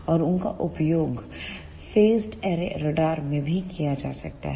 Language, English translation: Hindi, And they can also be used in phased array radars